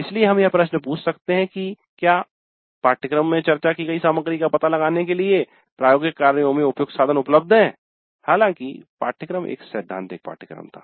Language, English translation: Hindi, So we can ask the question whether relevant tools are available in the laboratories to explore the material discussed in the course though the course was a theory course